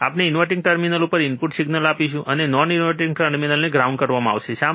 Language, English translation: Gujarati, we will applied input signal to the to the inverting terminal, and the non inverting terminal would be grounded, why